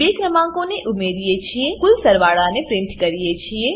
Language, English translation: Gujarati, In this we add the two numbers and print the sum